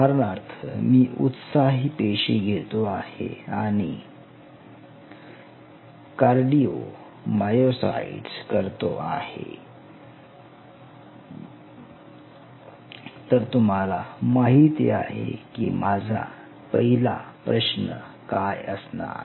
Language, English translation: Marathi, So, for example, again if I take another excitable cell I say I am culturing cardiomyocytes, you know what will be my first question are the beating